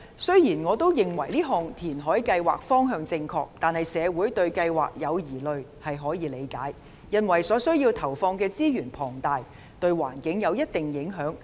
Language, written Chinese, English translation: Cantonese, 雖然我認為這項填海計劃方向正確，但社會對計劃有疑慮，是可以理解的，因為需要投放的資源龐大，對環境亦有一定影響。, Although I think that the direction of this reclamation programme is correct it is understandable that the community has doubts about it because of the huge resource input needed and its impact on the environment